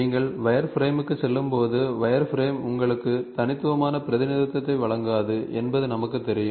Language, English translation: Tamil, So, when you move to wireframe, though we know wireframe does not give you unique representation